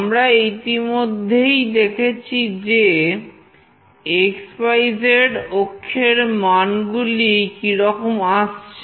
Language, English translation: Bengali, We have already seen that what value will receive on x, y, z axis